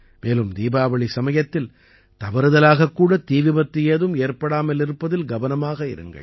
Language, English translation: Tamil, And yes, at the time of Diwali, no such mistake should be made that any incidents of fire may occur